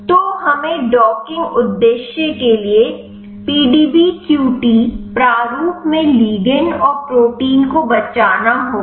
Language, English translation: Hindi, So, we have to save ligand and the protein in the PDBQT format for the docking purpose